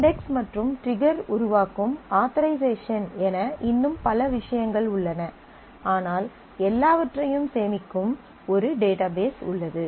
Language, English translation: Tamil, Of course, there are many other things there are index, there is authorization that triggers and all that, but there is a database which stores everything